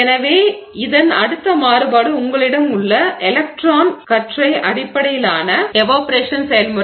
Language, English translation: Tamil, So, the next variation on this is one where you have an electron beam based evaporation process